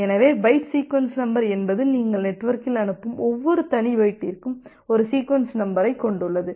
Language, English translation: Tamil, So, byte sequence number means that for every individual byte that you are sending in the network they has a sequence numbers